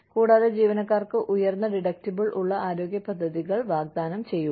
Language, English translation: Malayalam, And, offer high deductible health plans, for employees